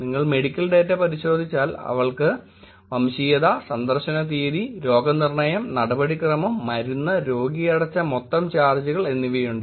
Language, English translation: Malayalam, If you look at the medical data she has ethnicity, visit date, diagnosis, procedure, medication and the total charges that was paid by the patient